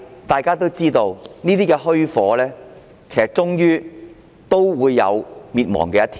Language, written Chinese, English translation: Cantonese, 大家也知道，這虛火終有滅亡的一天。, As we all know such false strength will eventually come to an end someday